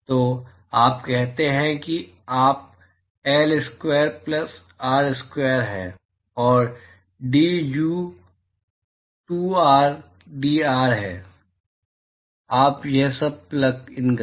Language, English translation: Hindi, So, you say u is L square plus r square and d u is 2 r d r, you plug in all this